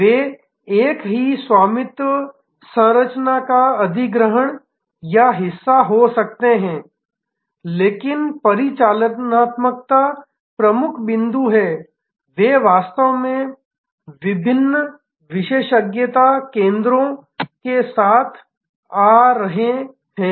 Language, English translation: Hindi, They might have been acquired or part of the same ownership structure, but the key point is operationally they are actually coming together of different expertise centres